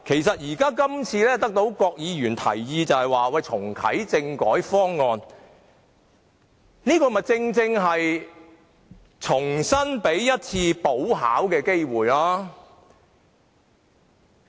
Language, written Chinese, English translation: Cantonese, 所以，郭議員今次提出重啟政改方案的建議，正是給大家一次補考機會。, Therefore the proposal put forward by Dr KWOK today to reactivate constitutional reform is a chance for us to take a make - up examination